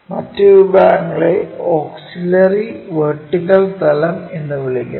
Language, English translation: Malayalam, The other categories called auxiliary vertical plane